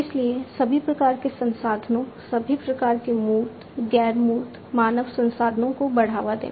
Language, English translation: Hindi, So, boosting up all kinds of resources, all kinds of you know tangible, non tangible human resources, and so on